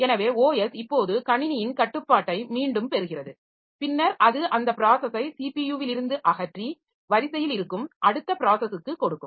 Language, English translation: Tamil, So, the operating system now regains control of the system and then it will remove that process from the CPU and give turn to the next process that is there in the queue